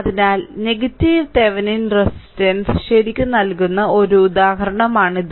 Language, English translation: Malayalam, So, this is one example I give for negative Thevenin resistance right ok